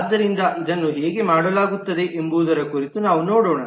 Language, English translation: Kannada, So we will take a look in terms of how this is done